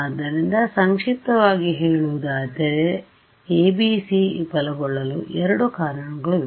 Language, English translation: Kannada, So, to summarize there are two reasons that we say that the ABC fail